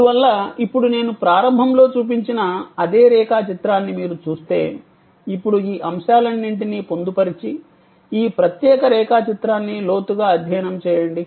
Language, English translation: Telugu, Therefore, now if you look at that same diagram that I showed in the beginning, now with all these elements embedded and study this particular diagram in depth